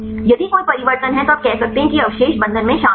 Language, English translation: Hindi, If there is a change then you can say that these residues are involved in binding